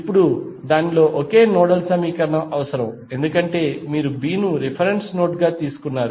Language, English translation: Telugu, Now, out of that only one nodal equation is required because you have taken B as a reference node